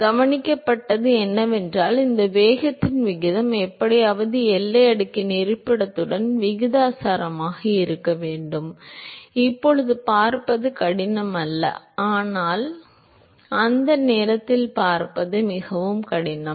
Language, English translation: Tamil, So, what was observed was that the ratio of this velocity somehow has to be proportionate with the location of the boundary layer, that is not hard to see now, but it is very hard to see at that time ok